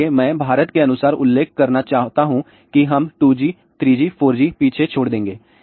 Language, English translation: Hindi, So, I want to mention as per as India is concerned we miss the bus for 2G, 3G, 4G